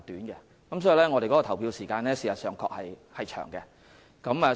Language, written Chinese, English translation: Cantonese, 因此，我們的投票時間確實偏長。, Therefore our polling hours are rather long indeed